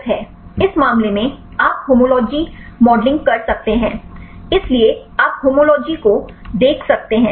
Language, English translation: Hindi, In this case you can do the homology modeling; so, you can see the homology modeling